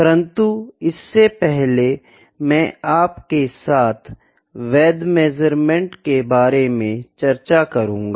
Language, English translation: Hindi, I will first discuss before that what is a valid measurement